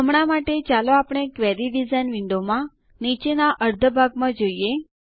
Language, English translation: Gujarati, For now, let us see the bottom half of the Query design window